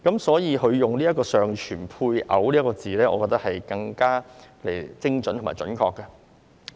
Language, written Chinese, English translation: Cantonese, 所以，現在改為"尚存配偶"，我認為更精準和準確。, So I think it is more specific and accurate to change the word to surviving spouses